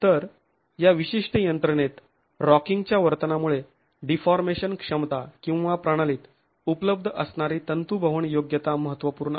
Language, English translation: Marathi, So, in this particular mechanism, because of the rocking behavior, deformation capacities or the ductility that is available in the system is significant